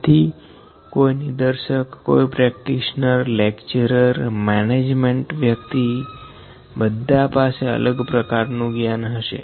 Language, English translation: Gujarati, So, the instructors, the practitioner, the lecturers, the management people they have different kind of knowledge sets